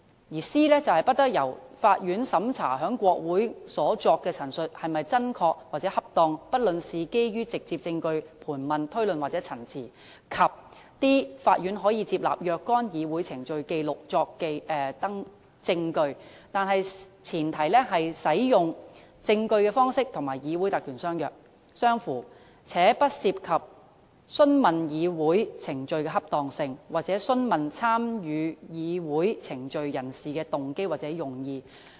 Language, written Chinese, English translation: Cantonese, 第 c 段指出"不得由法院審查在國會所作的陳述是否真確或恰當，不論是基於直接證據、盤問、推論或陳詞"；及第 d 段"法院可接納若干議會程序紀錄作證據，但前提是使用證據的方式與議會特權相符，且不涉及訊問議會程序的恰當性，或訊問參與議會程序的人士的動機或用意"。, I do not think it is right to do so . Subparagraph c points out that the courts are precluded from examining the truth or propriety of statements made in Parliament whether by direct evidence cross - examination inferences or submissions; and subparagraph d points out that certain evidence of parliamentary proceedings may be admitted before a court provided that the evidence is used in a way that is consistent with parliamentary privilege and does not involve an examination of the propriety of the proceedings or of the motives or intentions of those taking part in the proceedings